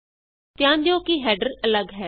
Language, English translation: Punjabi, Notice that the header is different